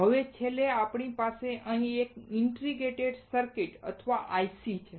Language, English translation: Gujarati, Now finally, we have here an integrated circuit or IC